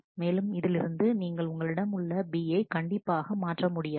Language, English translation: Tamil, And from this you have B certainly does not change